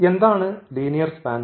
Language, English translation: Malayalam, So, what is the linear span